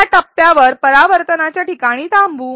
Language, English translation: Marathi, At this point, let us pause at a reflection spot